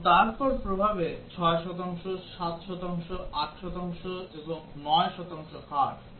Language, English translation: Bengali, And then the effects are 6 percent, 7 percent, 8 percent, 9 percent rates